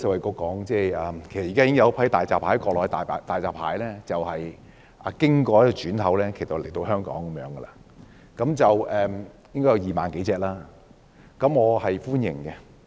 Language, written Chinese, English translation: Cantonese, 其實現時已有一批國內的大閘蟹經轉口來到香港，應該有2萬多隻蟹，我對此表示歡迎。, In fact a batch of Mainland hairy crabs have already arrived in Hong Kong via a transit place . I welcome the arrival of this batch of more than 20 000 hairy crabs